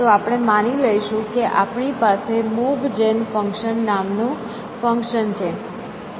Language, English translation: Gujarati, So, we will assume that we have a function called Move Gen function